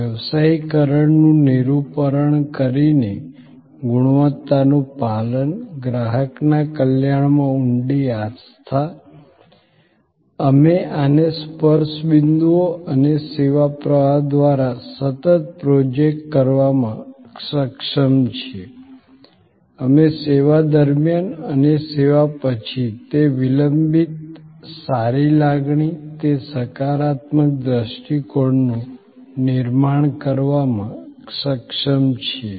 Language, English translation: Gujarati, By depicting professionalism, adherence to quality, the deep belief in customer's welfare, the more we are able to project these continuously through the touch points and through the service flow, we are able to create that lingering good feeling, that positive perception during the service and after the service